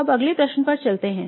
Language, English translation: Hindi, Now let's move on to the next question